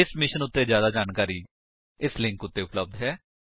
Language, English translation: Punjabi, More information on this mission is available at [2]